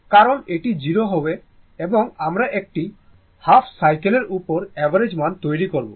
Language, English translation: Bengali, Because and this is 0 and we will make the average value over a half cycle